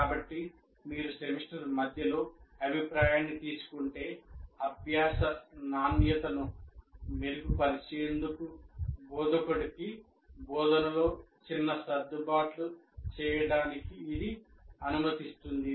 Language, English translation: Telugu, So if you take the feedback in the middle of the semester, it will allow the instructor to make minor adjustments to instruction to improve the quality of learning